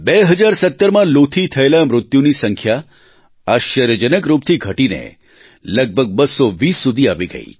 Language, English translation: Gujarati, In 2017, the death toll on account of heat wave remarkably came down to around 220 or so